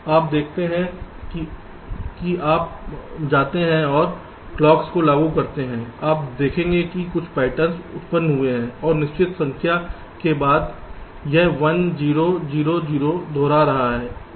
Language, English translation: Hindi, you see, as you go and applying clocks, you will see some patterns have been generated and after certain number, this one, zero, zero, zero is repeating